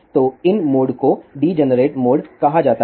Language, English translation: Hindi, So, these modes are called as degenerate modes